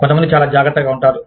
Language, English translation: Telugu, Some people are very cautious